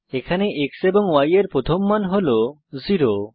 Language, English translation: Bengali, Now the value of x is 2